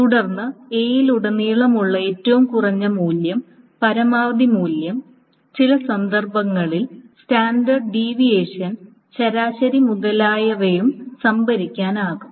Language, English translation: Malayalam, Then the minimum across A and the maximum value and the maximum value and in some cases the standard deviation and mean etc can also be stored